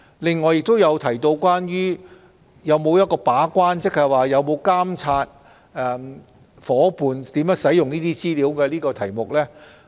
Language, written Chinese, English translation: Cantonese, 此外，議員亦就當局有否把關——即有否監察協定夥伴如何使用有關的稅務資料——而提出疑問。, Moreover Members have also raised questions about whether the authorities have performed gate - keeping―whether the authorities have monitored how CDTA partners use such tax information